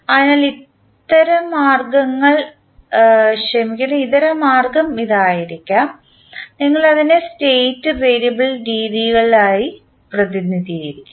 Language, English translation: Malayalam, So, the alternate way can be that, we represent the same into state variable methods